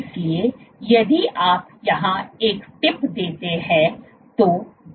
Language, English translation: Hindi, So, if you put a tip here